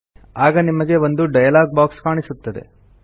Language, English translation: Kannada, You will see a dialog box like this